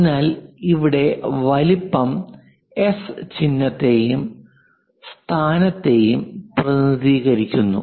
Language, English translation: Malayalam, So, here size represents S symbol and positions location